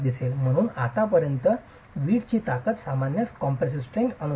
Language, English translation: Marathi, As far as the designation of the strength of the brick, it typically follows the compressive strength